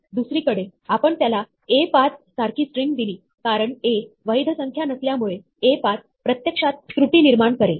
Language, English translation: Marathi, If on the other hand, we gave it a string like ÒA5Ó, since A is not a valid number, ÒA5Ó would actually generate an error